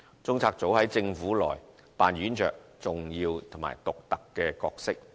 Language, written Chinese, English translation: Cantonese, 中策組在政府內扮演着重要及獨特角色。, CPU plays an important and unique role in the Government